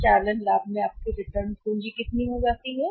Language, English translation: Hindi, So, your returns capital in operating profit becomes how much